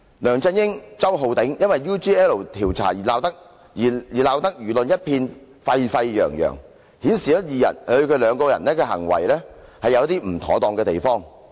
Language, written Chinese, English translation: Cantonese, 梁振英及周浩鼎議員因 UGL 調查而鬧得輿論一片沸沸揚揚，顯示二人行事確有不妥當的地方。, LEUNG Chun - yings collusion with Mr Holden CHOW in the UGL inquiry has caused a hubbub in society which reflected that their acts are inappropriate